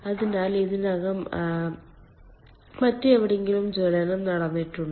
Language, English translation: Malayalam, so already combustion has taken place elsewhere